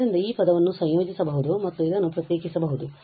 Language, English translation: Kannada, So, this term can be integrated and this can be differentiated